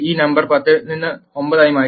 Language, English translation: Malayalam, This number has been changed from 10 to 9